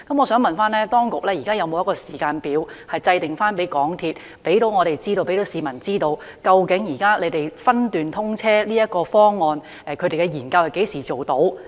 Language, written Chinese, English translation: Cantonese, 我想問當局現時有否為港鐵公司制訂一個時間表，讓市民知道它就現時分段通車的方案進行的研究可何時完成？, I would like to ask the authorities whether they have set a timetable for MTRCL so that the public know when it will finish its study on the present proposal of partial commissioning of SCL